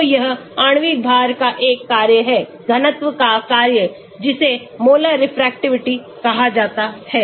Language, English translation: Hindi, So, it is a function of molecular weight, function of density that is called Molar Refractivity